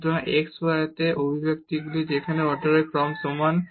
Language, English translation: Bengali, So, an expression in xy is homogeneous of order of order n there